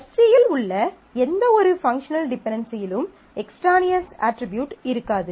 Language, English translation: Tamil, No functional dependency in Fc will contain any extraneous attribute